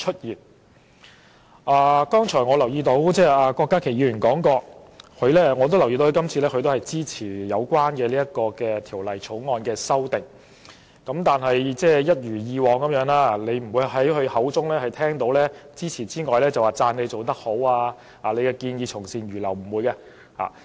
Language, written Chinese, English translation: Cantonese, 我剛才聽郭家麒議員發言，留意到他也支持《條例草案》的修訂，但一如以往，我們不會從他口中聽到稱讚政府做得好、建議從善如流等說話。, Just now when Dr KWOK Ka - ki spoke I learned that he would support the amendments proposed in the Bill . However as always we would not hear from him words of appreciating the Government for making good efforts or for readily accepting good advice . Secretary do not worry